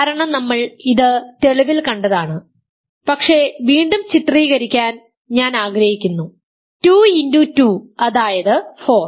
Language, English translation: Malayalam, This is because we saw it in the proof, but I want to illustrate this again 2 times 2 which is 4 is in 4Z, but 2 is not in 4Z ok